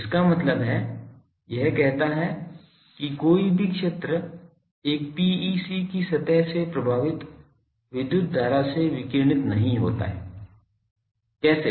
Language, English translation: Hindi, That means, it says that no field gets radiated by an electric current impressed along the surface of a PEC, how